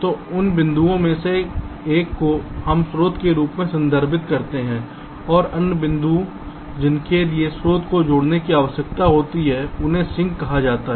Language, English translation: Hindi, so a one of these points we refer to as the source and the other points to which the source needs to be connected is called the sink